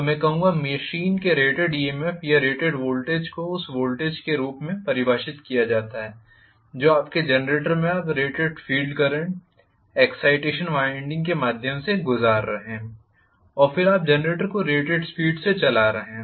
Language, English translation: Hindi, So, I would say that the rated EMF or rated voltage of the machine is defined as that voltage that is obtain from your generator when you are passing rated field current through your excitation winding and then you are driving the generator at rated speed